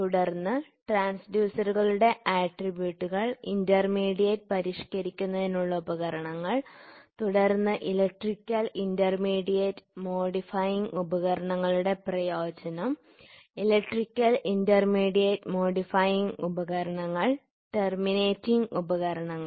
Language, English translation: Malayalam, There are several types of transducers, then quality attributes for transducers, intermediate modifying the devices and then advantage of electrical intermediate modifying devices, then electrical intermediate modifying devices and terminating devices